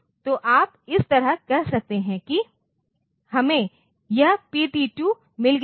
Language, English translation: Hindi, So, you can you can say like this, that we have got this PT2